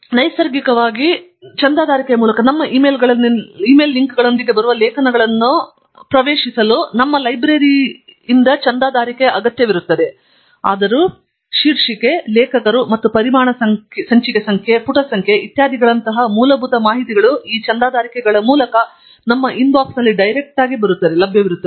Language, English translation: Kannada, Naturally, accessing the articles that come with links in our emails through the subscription will require a subscription from our library; however, the basic information such as the title, authors, and the article details such as volume issue number and page number, etcetera will be available in our inbox through these subscriptions